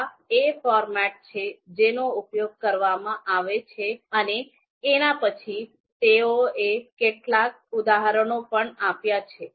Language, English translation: Gujarati, So, this is the format that is to be used and then they have given the examples also